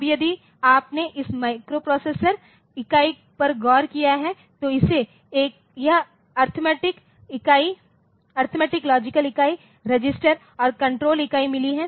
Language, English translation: Hindi, Now, so, if you have look into this microprocessor unit it has got this arithmetic logic unit, registers and control unit